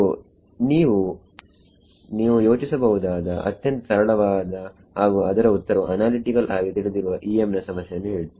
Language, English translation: Kannada, So, what is the simplest EM problem you can think of where you know the answer analytically